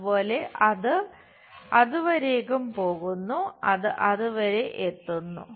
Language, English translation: Malayalam, Similarly, it goes all the way there, it comes all the way there